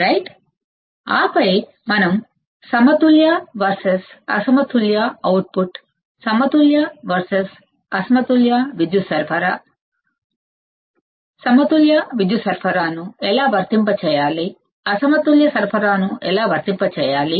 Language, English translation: Telugu, And then we have seen the balance versus unbalance output and, balance versus unbalanced power supply also how to apply balance power supply, how do I apply unbalance supply